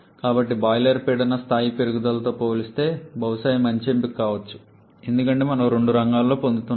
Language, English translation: Telugu, So, compared to the increase in the boiler pressure level probably this can be a better option because we are gaining in two fronts